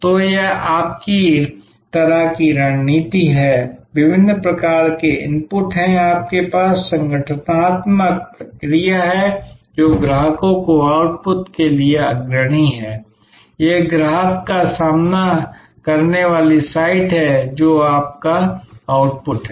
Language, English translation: Hindi, So, this is your kind of your strategy, there are various kinds of inputs, you have the organizational process, which is leading to the output to the customers, this is the customer facing site, this is your output